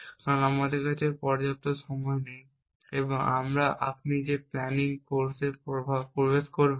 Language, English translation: Bengali, Because we do not have enough time and you have most welcome to come for the planning course you entrance it